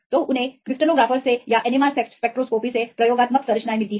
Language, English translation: Hindi, So, they get the experimental structures from the crystallographers or the from NMR spectroscopy